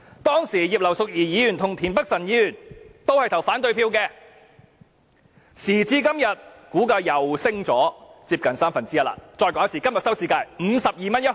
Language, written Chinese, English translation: Cantonese, 當時葉劉淑儀議員和田北辰議員均投反對票，時至今日，股價再次上升接近三分之一，讓我再說一次，今天的收市價是 52.1 元。, At that time both Mrs Regina IP and Mr Michael TIEN voted against the motion . Today the stock price has again gone up by nearly one third and let me say again that the closing price is 52.1 today